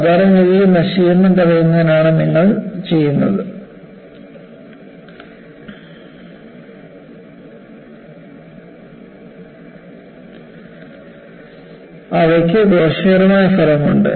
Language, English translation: Malayalam, Normally, you do these to prevent corrosion, they have a deleterious effect